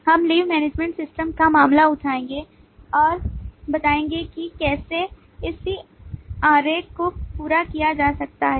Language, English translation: Hindi, wherever applicable, we will take the case of the leave management system and illustrate how the corresponding diagrams can be met up